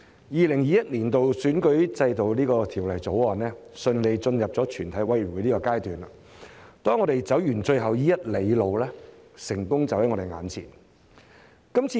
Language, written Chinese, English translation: Cantonese, 《2021年完善選舉制度條例草案》順利進入全體委員會審議階段，當我們走完最後一里路，成功就在我們眼前。, Now that we have proceeded smoothly to the Committee stage to consider the Improving Electoral System Bill 2021 the Bill success is just around the corner after we have finished the last mile